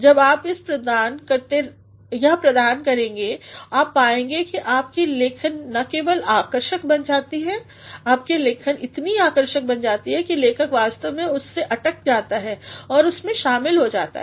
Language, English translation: Hindi, When you provide that then you will find that your writing becomes not only attractive, your writing becomes attractive to an extent that writers actually are stuck into it, writers are involved into it